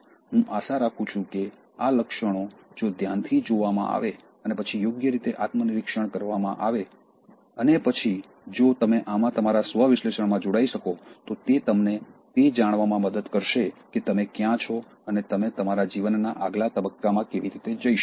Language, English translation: Gujarati, I hope these traits, if looked at carefully and then introspected properly and then if you can join this your self analysis, it will help you to know where you are and how you can go to the next stage in your life